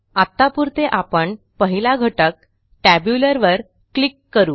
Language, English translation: Marathi, For now, we will click on the first item, Tabular